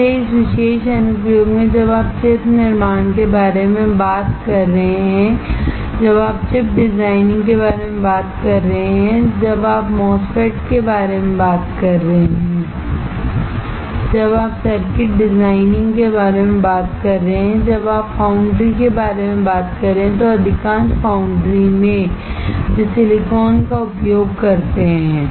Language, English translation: Hindi, That is why in that particular application, when you are talking about chip manufacturing, when you are talking about chip designing, when you are talking about MOSFETs, when you are talking about circuit designing, when you are talking about foundries, most of the foundries they use silicon